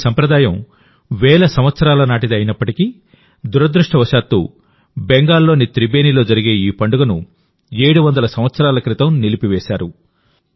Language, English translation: Telugu, Although this tradition is thousands of years old, but unfortunately this festival which used to take place in Tribeni, Bengal was stopped 700 years ago